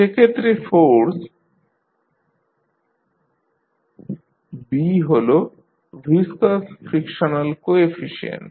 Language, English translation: Bengali, B is the viscous frictional coefficient